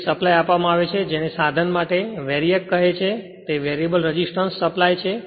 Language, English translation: Gujarati, So, this supply is given for an your what you call for an instrument called VARIAC, variable resistance supply